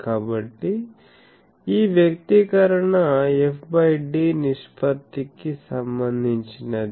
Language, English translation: Telugu, So, this expression can be related to f by d ratio